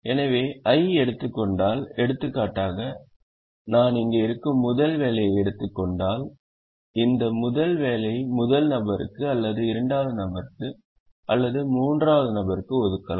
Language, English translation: Tamil, so if i take i, for example, if i take the first job which is here, then this first job can be assigned to either the first person or the second person or the third person, so it can go to only one person